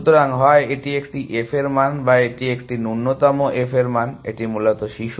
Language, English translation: Bengali, So, either it is a f value or it is a minimum of the f values of it is children essentially